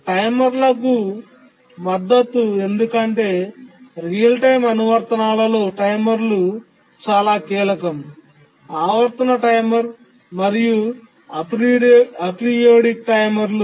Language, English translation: Telugu, Support for timers because timers are very crucial in real time applications, both the periodic timer and the aperiodic timers